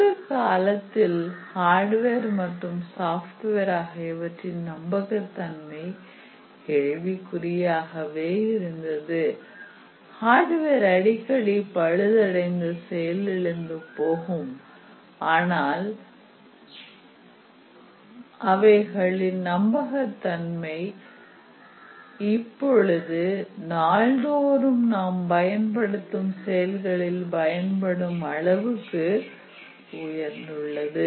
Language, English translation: Tamil, Earlier the hardware and software reliability was questionable, often the hardware will shut down the software will encounter bugs, failures and so on, but now they have become extremely reliable for them to be used in many many daily applications